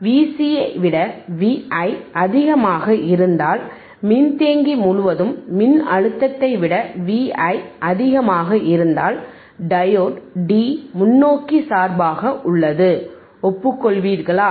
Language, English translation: Tamil, If V i is greater sorry if V i is greater than V c, if V i this signal is greater than the voltage across capacitor, diode D is in forward bias a, agreed